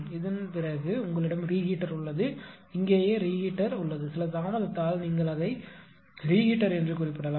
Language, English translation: Tamil, After that you have a reheater, you have a reheater right here also you can represent it by some delay this is reheater